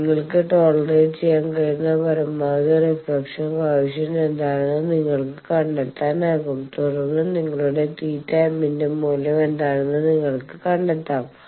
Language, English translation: Malayalam, You can find out what is the maximum reflection coefficient you can tolerate, and then you can find what the value of your theta m is